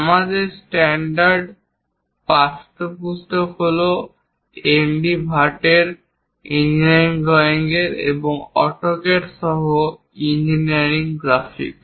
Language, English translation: Bengali, Ours standard textbooks are Engineering Drawing by N D Bhatt and Engineering Graphics with AutoCAD